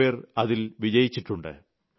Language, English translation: Malayalam, Some people have been successful in that